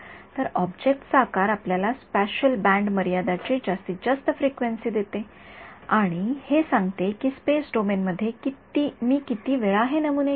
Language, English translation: Marathi, So, the size of the object gives you the maximum frequency the spatially band limit and that tells you how frequently I should sample this is sampling in the space domain